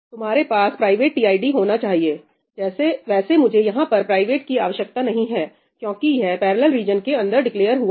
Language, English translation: Hindi, You should have a private tid well, here I do not need ëprivateí because it is declared inside the parallel region